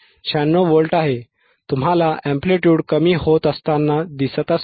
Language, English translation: Marathi, 96 Volts, you see the amplitude is decreasing